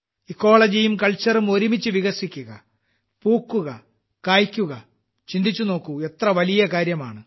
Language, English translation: Malayalam, If both Ecology and Culture grow together and flourish…, just imagine how great it would be